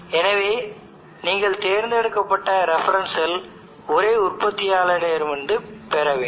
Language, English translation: Tamil, So you choose the reference cell such that it is from the same manufacturer